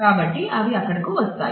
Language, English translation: Telugu, So, they come wherever there